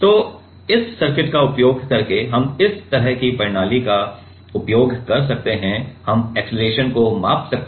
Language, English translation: Hindi, So, in using this circuit, we can using this kind of system, we can measure the acceleration